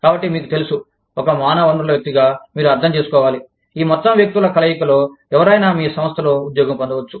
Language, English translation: Telugu, So, you know, as a human resource person, you need to understand, this whole mix of people, who could be employed, in your organization